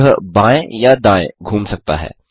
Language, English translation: Hindi, It can move backwards It can turn left or right